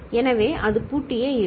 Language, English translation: Tamil, So, it will remain locked